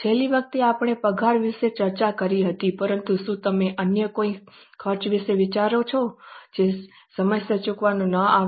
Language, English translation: Gujarati, Last time we discussed about salary but do you think of any other expense which is not paid on time